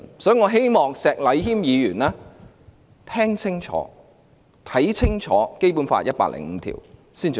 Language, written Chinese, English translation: Cantonese, 所以，我希望石禮謙議員聽清楚、看清楚《基本法》第一百零五條才發言。, Therefore I wish Mr Abraham SHEK had clearly heard and read Article 105 of the Basic Law before speaking